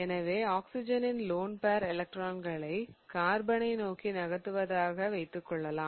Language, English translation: Tamil, So, let's say that I move the lone pair electrons of oxygen towards the carbon